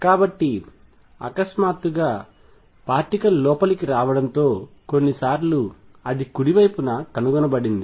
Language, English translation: Telugu, So, as the particle has coming in suddenly you will find the sometimes is found on the right hand side